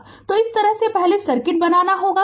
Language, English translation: Hindi, So, this way first we have to make the circuit